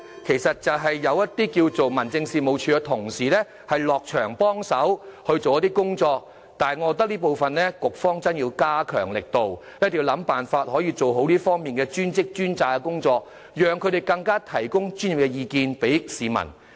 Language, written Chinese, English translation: Cantonese, 現時，政府會派一些民政事務處的職員落區協助處理，但我認為局方在這方面有需要加強力度，一定要設法做好"專職專責"的工作，讓職員向市民提供專業意見。, Under the current practice the Government will appoint certain officials from District Offices to render assistance in these cases . Yet I think the Bureau has to step up its effort in this aspect . It must identify ways to properly implement the arrangement of designated officials for designated professions so that officials may offer professional advice to the public